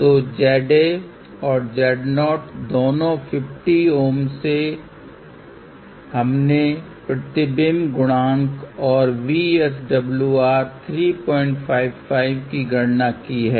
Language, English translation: Hindi, So, from this Z A and 50 Ohm of Z 0, we have calculated reflection coefficient of this value and VSWR of 3